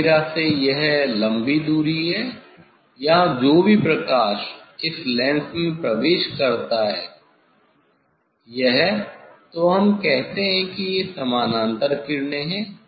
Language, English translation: Hindi, from almirah it is long distance here this whatever light entering into this lens, entering into this lens that is the, then we tell that is the parallel rays